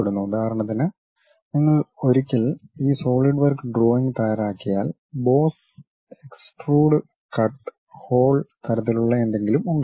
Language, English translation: Malayalam, For example, once you prepare this Solidworks drawing, there will be something like boss, extrude, cut, hole kind of thing